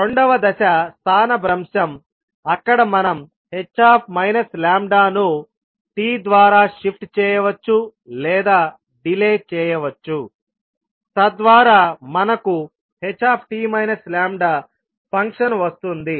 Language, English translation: Telugu, Then second step is displacement where we shift or delay the h minus lambda by t so that we get the function h t minus lambda